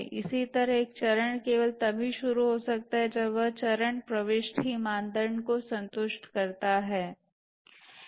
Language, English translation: Hindi, Similarly, a phase can start only when its phase entry criteria have been satisfied